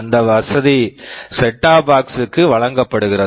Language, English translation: Tamil, That facility is provided inside that set top box